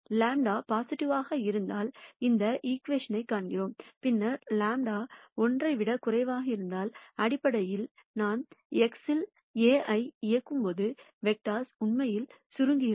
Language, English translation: Tamil, If lambda is positive, then we see this equation and then notice that if lambda is less than 1, then basically when I operate A on x the vector actually shrinks